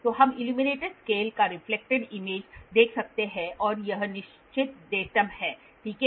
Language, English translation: Hindi, So, we can see a reflected image of the illuminated scale will be this and this is the fixed datum, ok